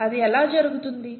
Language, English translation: Telugu, How is that happening